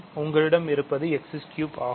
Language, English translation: Tamil, That is simply 3 x squared